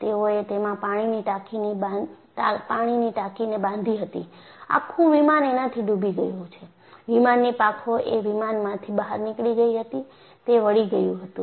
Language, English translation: Gujarati, They had constructed a water tank; the entire aircraft is submerged, and you had wings protruded out of this, and they were flexed